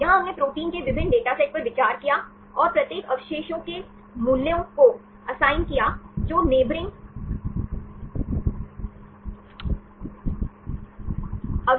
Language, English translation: Hindi, Here we considered different dataset of proteins and assign the values for each residue which are influenced with the neighboring residues